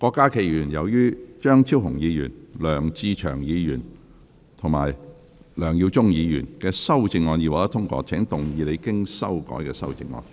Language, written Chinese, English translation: Cantonese, 郭家麒議員，由於張超雄議員、梁志祥議員及梁耀忠議員的修正案已獲得通過，請動議你經修改的修正案。, Dr KWOK Ka - ki as the amendments of Dr Fernando CHEUNG Mr LEUNG Che - cheung and Mr LEUNG Yiu - chung have been passed you may move your revised amendment